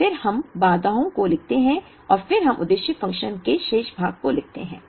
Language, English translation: Hindi, So, we first write the objective function, we write part of the objective function